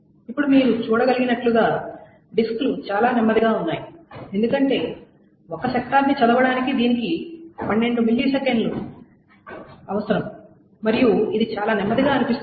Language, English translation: Telugu, Now as you can see, the disks are quite slow because to read one sector, this requires 12 milliseconds and this seems to be extremely slow